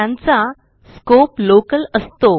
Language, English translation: Marathi, These have local scope